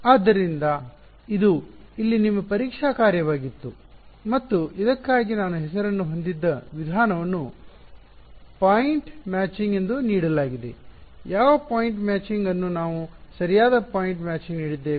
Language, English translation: Kannada, So, this was your testing function over here and the method we had I mean name for this was given as point matching what point matching was the name we have given right point matching ok